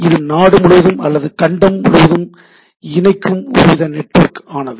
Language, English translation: Tamil, So, it is some sort of across country or across continent